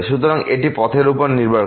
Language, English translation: Bengali, So, it depends on the path